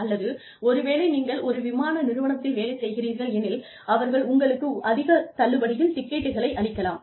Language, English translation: Tamil, Or, maybe, if you are working for an airline, they could give you tickets, you know, at heavy discount, etcetera